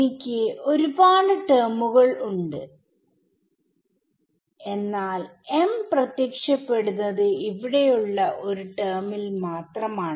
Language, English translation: Malayalam, I have so many terms, but m is appearing only in only one term over here, this is the only place where m appears right